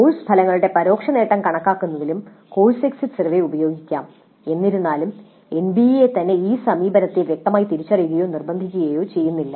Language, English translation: Malayalam, And the course exit survey may also be used in computing indirect attainment of course outcomes though NB itself does not explicitly recognize or mandate this approach